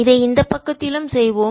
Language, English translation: Tamil, let's do it on this side also